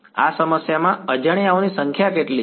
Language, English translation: Gujarati, What are the number of unknowns in this problem